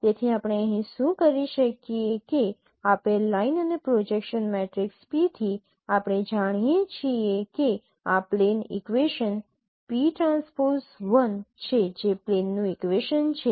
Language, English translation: Gujarati, So we can what we can do here that now given this line and given this projection matrix P we know that equation of this plane is p transpose L